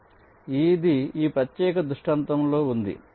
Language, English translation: Telugu, ok, alright, so this is for this particular scenario